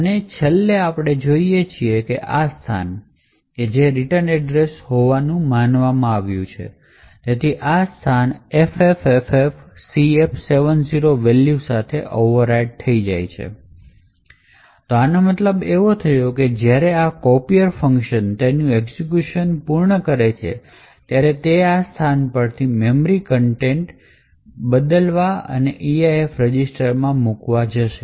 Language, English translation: Gujarati, And, finally we see that this location which was supposed to have the return address, so this location is overwritten with the value FFFFCF70, so what this means is that when this copier function completes its execution it is going to pick the memory contents from this location and put this into the EIP register